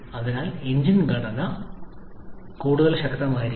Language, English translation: Malayalam, So, the engine structure has to be much stronger